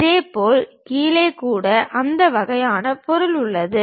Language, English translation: Tamil, Similarly, at bottom also we have that kind of material